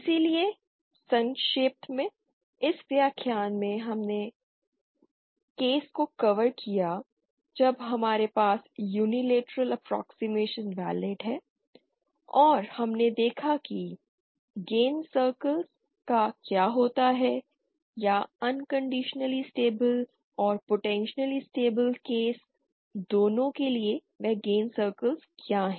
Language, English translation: Hindi, So in summary, in this lecture we covered the case when we have the Unilateral Approximation Valid and we saw what happen to the gain circles or what are those gains circles for both the unconditionally stable case and the potentially unstable case